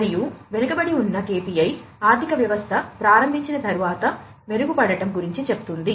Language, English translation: Telugu, And lagging KPI talking about after the economy has started to improve, right, to improve